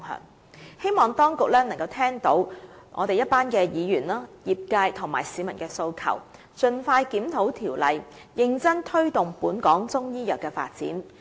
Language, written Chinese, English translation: Cantonese, 我希望當局聽到議員、業界和市民的訴求，盡快檢討《條例》，認真推動本港中醫藥的發展。, I hope the authorities can hear the demands of Members the industry and the public and review CMO as soon as possible so as to promote the development of Chinese medicine in Hong Kong in earnest